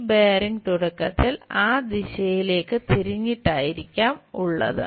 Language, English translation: Malayalam, This bearing might be initially turned in that direction